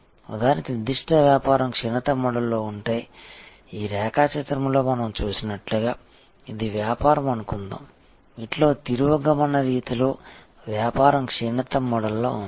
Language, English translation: Telugu, If that particular business is in the decline mode like for example, as we saw in this diagram suppose this is the business, which is in the decline mode of these are the business is in the decline mode